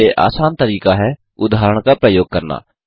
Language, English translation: Hindi, Easiest way is to use an example